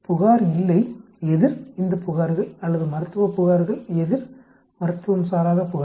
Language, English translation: Tamil, No complaint verses total of these complaint or Medical complaint verses Non medical complaint